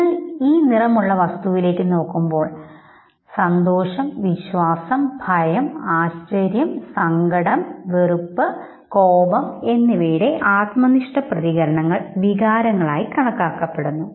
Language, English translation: Malayalam, So basically when you look at this colored object the subjective reactions you have joy, trust, fear, surprise, sadness, disgust and anger and these are considered to be the emotions